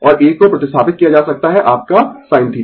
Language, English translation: Hindi, And this one can be replaced by sin theta right